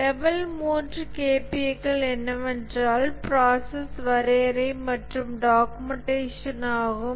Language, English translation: Tamil, The level 3 KPS are process definition and documentation